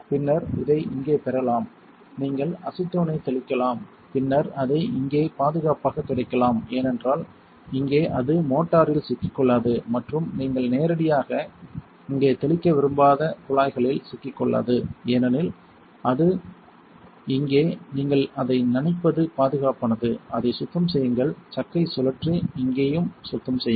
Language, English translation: Tamil, Then you can get this over here and you can spray acetone then wipe it here safely, because here it will not get stuck to the motor and will not get stuck to the tubing you do not want to spray it directly on here, because it will get sucked in